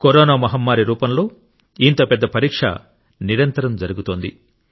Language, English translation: Telugu, In the form of the Corona pandemic, we are being continuously put to test